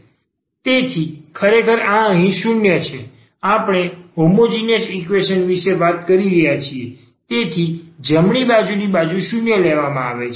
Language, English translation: Gujarati, So, indeed this is 0 here, we are talking about the homogeneous equation, so the right hand side will be taken as 0